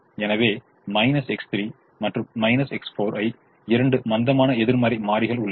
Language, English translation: Tamil, so we have minus x three and minus x four as two negative slack variables